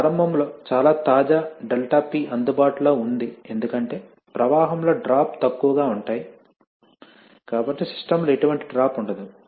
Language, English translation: Telugu, Then initially there is a lot of fresh ∆P available because they will hardly any drop, in the flow is low, so there is hardly any drop in the system